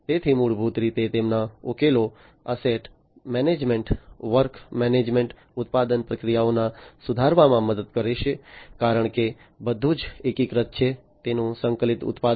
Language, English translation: Gujarati, So, basically their solutions will help in improving, the asset management, work management, improving the manufacturing processes, because everything is integrated, its integrated manufacturing, and so on